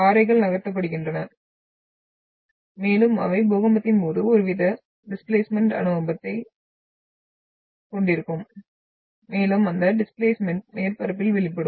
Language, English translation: Tamil, So rocks are moved and they will have some sort of a displacement experience during an earthquake and that displacement will be manifested along the surface